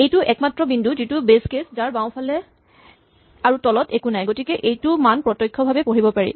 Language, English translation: Assamese, This is the only point which is the base case which has nothing to its left and nothing below so its value is directly read